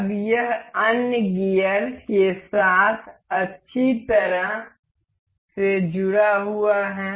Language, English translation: Hindi, Now, it is well linked with the other gears